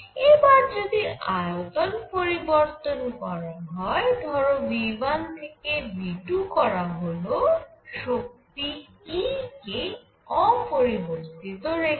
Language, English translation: Bengali, Now consider change the volume from V 1 to V 2 keeping E unchanged keeping the energy of the system unchanged